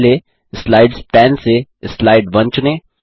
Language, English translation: Hindi, First, from the Slides pane, lets select Slide 1